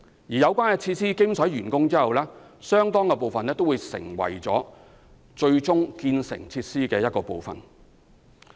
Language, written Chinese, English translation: Cantonese, 當有關設施完工後，相當部分的用地會成為該設施的一部分。, Upon completion of facility construction these sites will usually become part of the future facilities